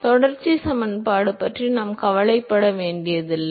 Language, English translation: Tamil, So, we do not have to worry about the continuity equation